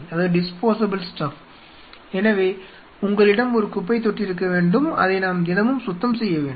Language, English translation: Tamil, So, you should have a trash which we should be clean everyday